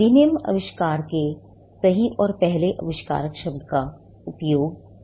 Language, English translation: Hindi, The act uses the word true and first inventor of the invention